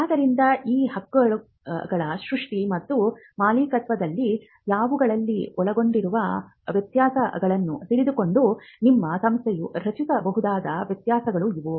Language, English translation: Kannada, So, these are variations that your institute can create knowing the differences involved in these in the creation and ownership of these rights